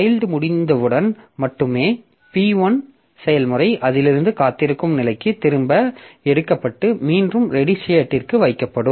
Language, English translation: Tamil, And only when the child gets over, then the process P1 will be taken back from that weight state and will be put back onto the ready state